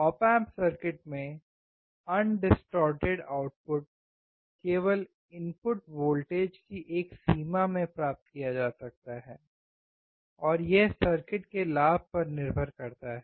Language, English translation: Hindi, In op amp circuits, undistorted output can only be achieved for a range of input voltage, and that depends on gain of the circuit